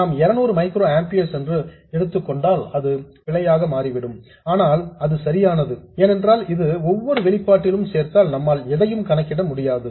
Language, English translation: Tamil, So, there is an error if we assume 200 microamperors but that's okay because if we include this in every expression we won't be able to calculate anything at all